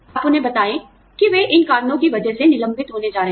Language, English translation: Hindi, You let them know, that they are going to be laid off, because of these reasons